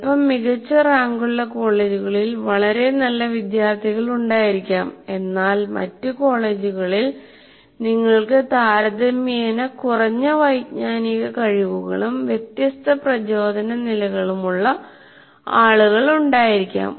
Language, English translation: Malayalam, So you may have a very large number of very good students, let us say in slightly better ranked colleges, but in other colleges you may have people with relatively lower cognitive abilities and maybe different motivation levels and so on